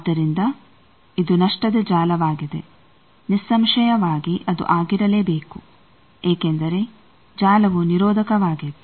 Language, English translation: Kannada, So, it is a lossy network as; obviously, it should be because the network was very resistive